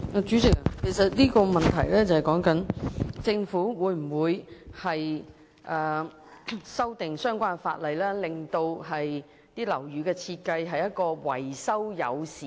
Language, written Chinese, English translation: Cantonese, 主席，這項主體質詢是問，政府會否修訂相關法例，令樓宇設計變得更維修友善。, President the main question is about whether or not the Government will amend the relevant laws to make building designs more maintenance - friendly